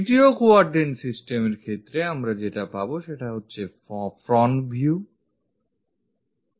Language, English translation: Bengali, In case of 3rd quadrant systems, what we are going to get is a front view; let us draw it here, a front view